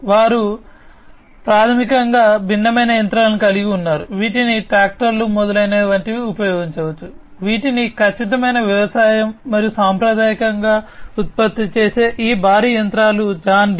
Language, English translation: Telugu, They have equipments which are basically different machinery, which can be used like tractors etcetera, which can be used for precision agriculture and these heavy machinery, that are produced by them traditionally, John Deere